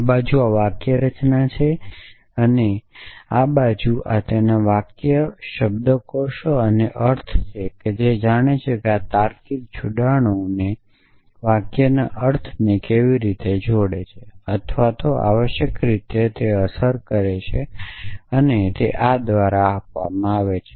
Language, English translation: Gujarati, So, this side is the syntax and that side some sentence semantics of this thing and what the semantics captures here is that how do this logical connectives connect the or influence the meaning of compound sentences essentially and that is given by this